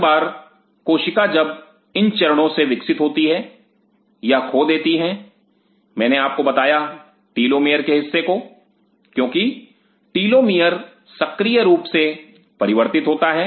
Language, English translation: Hindi, Every time a cell is going through this cycle it loses I told you part of it is telomere because telemeter is activity changes